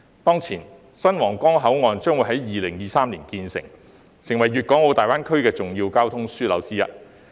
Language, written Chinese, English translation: Cantonese, 當前，新皇崗口岸將於2023年建成，成為粵港澳大灣區的重要交通樞紐之一。, Looking ahead the new Huanggang Port will be completed in 2023 and will then emerge as one of the most important transportation hubs in the Guangdong - Hong Kong - Macao Greater Bay Area GBA